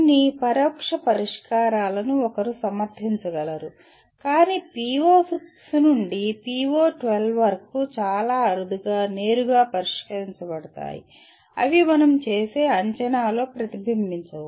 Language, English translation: Telugu, One can justify some indirect addressing of this but directly PO6 to PO12 are very rarely addressed in the sense they do not get reflected in the assessment that we perform